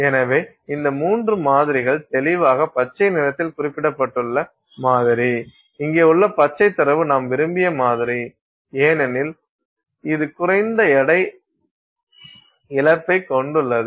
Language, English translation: Tamil, So, in this, these three samples, clearly the green one, the sample that is represented by this, the green data here is your desired sample because it is having less weight loss, right